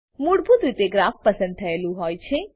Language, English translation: Gujarati, By default, Graph is selected